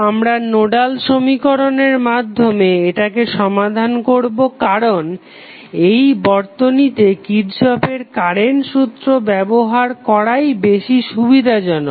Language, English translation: Bengali, We will solve it with the help of Nodal equation because it is easier to apply Kirchhoff Current Law in this particular circuit